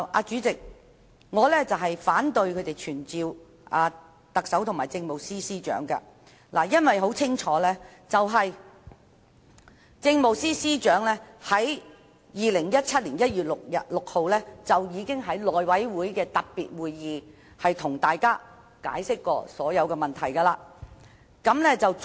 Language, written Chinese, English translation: Cantonese, 主席，我反對他們傳召特首及政務司司長，因為時任政務司司長在2017年1月6日已經在內務委員會的特別會議上，向大家清楚解釋所有問題。, President I oppose the summoning of the Chief Executive and the Chief Secretary for Administration as the then Chief Secretary already clearly answered all questions asked by Members at the special meeting of the House Committee on 6 January 2017